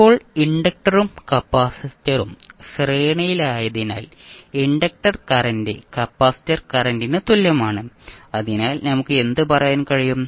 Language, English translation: Malayalam, Now, since the inductor and capacitor are in series the inductor current is the same as the capacitor current, so what we can say